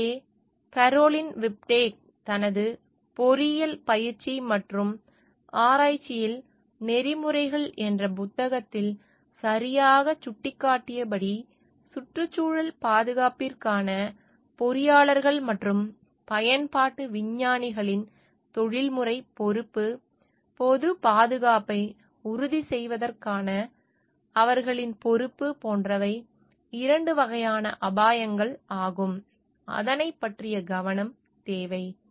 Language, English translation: Tamil, So, what we can say, as rightly pointed out by Caroline Whitback in her book Ethics in engineering practice and research, the professional responsibility of engineers and applied scientists for environmental protection, like their responsibility for ensuring public safety, requires attention to two sorts of risks